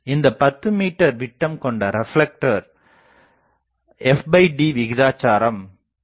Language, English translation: Tamil, A 10 meter diameter reflector with f by d ratio of 0